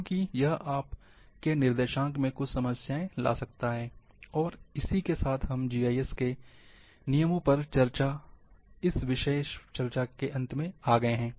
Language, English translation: Hindi, Because it might bring certain problems, in your coordinates, this brings to the end of this particular small discussion, on rules of GIS